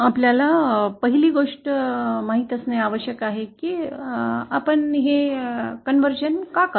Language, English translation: Marathi, Now 1st thing we have to know is why do we do this conversion